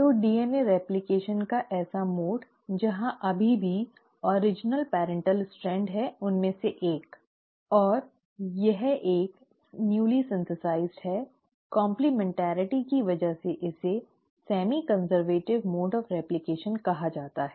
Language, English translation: Hindi, So such mode of DNA replication, where it still has the original parental strand, one of it and one of this is newly synthesised because of complementarity is called as semi conservative mode of replication